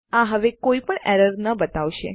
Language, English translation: Gujarati, That wont show the error anymore